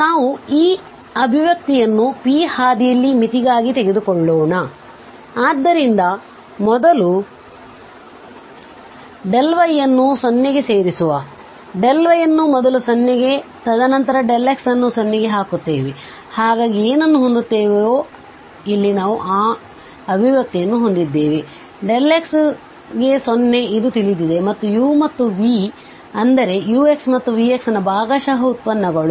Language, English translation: Kannada, So putting their delta y to 0 first and then later on this delta x to 0, so what we will have we have this expression here, when delta x to 0 this we know and this we know these are the partial derivatives of u and this v that means this is u x and this is v x, this is ux and this is v x